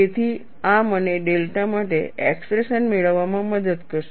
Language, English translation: Gujarati, So, this will help me to get an expression for delta